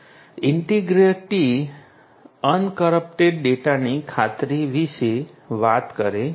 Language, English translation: Gujarati, Integrity talks about assurance of an uncorrupted data